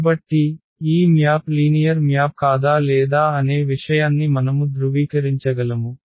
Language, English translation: Telugu, Now the question is whether this is linear map or it is not a linear map